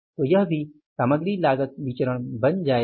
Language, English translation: Hindi, So, this will also become the material cost variance